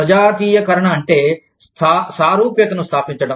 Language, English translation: Telugu, Homogenization means, establishment of similarity